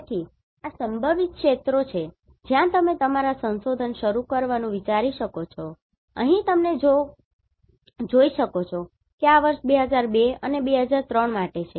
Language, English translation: Gujarati, So, these are the potential areas where you can think of to start your research, here you can see this is for 2002 and 2003